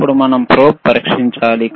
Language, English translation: Telugu, Now, we have to test the probe